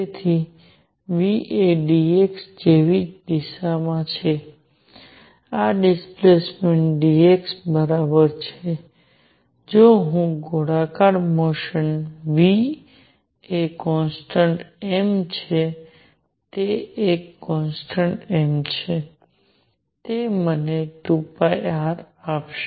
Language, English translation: Gujarati, So v is in the same direction as dx this is the displacement dx right although I am take considering circular motion v is a constant m is a constant it will give me 2 pi r